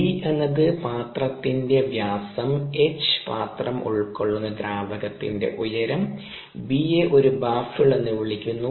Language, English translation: Malayalam, d is the diameter of ah, the vessel, and h is the height of the liquid and with the vessel is kept, and b is what is called ah baffle baffle